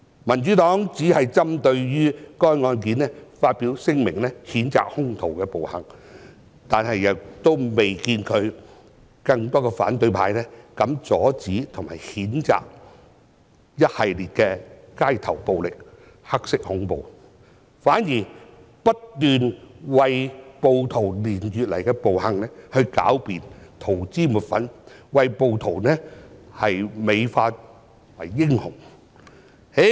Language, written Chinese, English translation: Cantonese, 民主黨只針對該案件發表聲明，譴責兇徒的暴行，卻未看到有更多反對派人士膽敢阻止和譴責一系列的街頭暴力、"黑色恐怖"，反而不斷為暴徒連月來的暴行狡辯、塗脂抹粉，把暴徒美化為英雄。, The Democratic Party has only issued a statement on this case to condemn the violent acts of the villains but we fail to see a greater number of supporters of the opposition camp who dare to join us in stopping and condemning a series of street violence and acts of black terror . Instead they have kept finding excuses for the violent acts committed by rioters over the past few months whitewashing these rioters and glorifying them as heroes